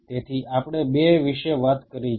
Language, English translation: Gujarati, So, we have talked about two